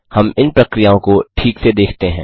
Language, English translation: Hindi, We are going through these processes thoroughly